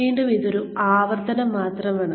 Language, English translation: Malayalam, So, Again, this is just a repetition